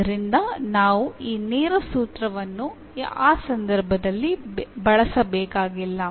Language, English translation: Kannada, So, we do not have to use this direct formula in that case